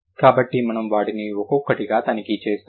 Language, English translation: Telugu, So, we will check them one by one